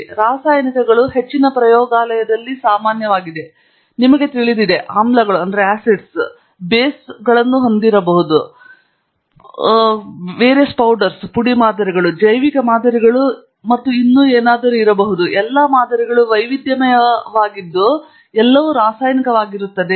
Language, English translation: Kannada, So, chemicals is something that is very common in most labs; you will have, you know, acids; you are going to have bases; you are going to have, may be, powder samples; may be biological samples and so on; so, the variety of different samples which all are essentially chemicals